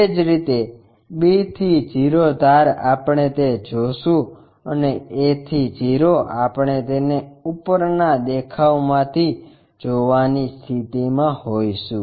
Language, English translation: Gujarati, Similarly, b to o edge we will see that and a to o we will be in a position to see it from the top view